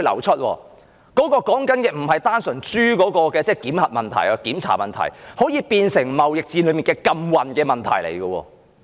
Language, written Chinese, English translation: Cantonese, 這裏說的並非單純是豬的檢核問題，而是可以變成貿易戰的禁運問題。, This is not a simple matter of pig inspection it can be as serious as a trade war embargo